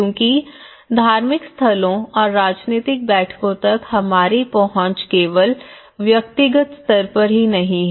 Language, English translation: Hindi, Because the access to the religious places and the political meetings not only that in our personal level